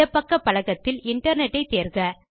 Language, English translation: Tamil, On the left pane, select Internet